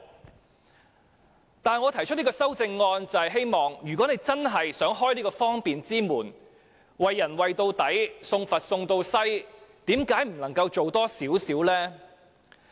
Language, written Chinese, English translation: Cantonese, 然而，我提出這項修正案，就是希望政府如果真的想打開方便之門，便應該"為人為到底，送佛送到西"，為何不可以再多做一些呢？, However I have proposed this amendment in the hope that the Government will carry through its benevolent act to the end if it really wishes to open a door of convenience . Why can it not do more?